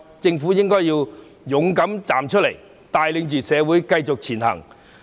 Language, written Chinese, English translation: Cantonese, 政府應該勇敢站出來，帶領社會繼續前行。, It should show courage and lead society to continuously move forward